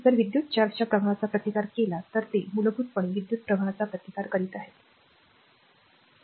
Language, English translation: Marathi, If you resisting the flow of electric charge means it is basically resisting the flow of current, right